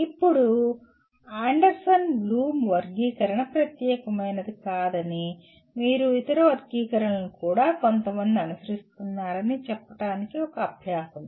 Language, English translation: Telugu, Now as an exercise to say that Anderson Bloom Taxonomy is not unique and other taxonomies are also followed by some people